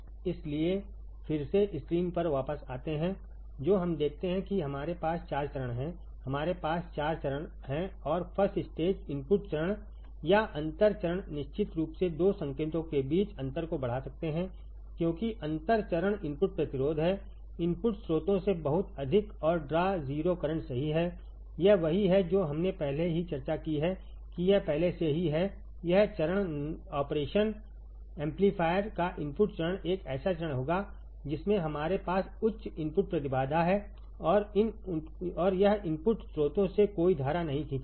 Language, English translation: Hindi, So, again coming back on the screen, what we see is that we have 4 stages, we have 4 stages and the first stage input stage or the differential stage can amplify difference between 2 signals of course, because the differential stage input resistance is very high and draw 0 current from input sources correct this is what we have already discussed earlier also that this; this stage the input stage of the operation amplifier would be a stage in which we have high input impedance and it would draw no current from the input sources